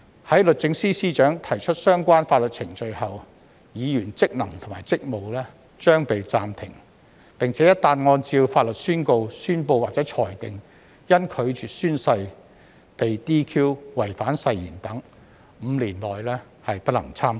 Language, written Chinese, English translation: Cantonese, 在律政司司長提出相關法律程序後，議員職能和職務將被暫停，而且一旦按照法律宣告、宣布或裁定因拒絕宣誓被 "DQ"、違反誓言等 ，5 年內不能參選。, Immediately after the relevant legal proceedings are brought by SJ against a Legislative Council Member or DC member his or her functions and duties will be suspended . Furthermore once declarations or decisions are made in accordance with the law that he has been DQ disqualified for declining to take an oath or breaching an oath he or she may not stand for election within five years